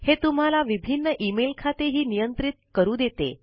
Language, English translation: Marathi, It also lets you manage multiple email accounts